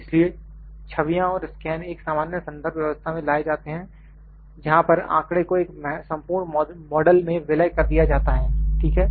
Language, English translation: Hindi, So, images and scans are brought into common reference system where data is merged into a complete model, ok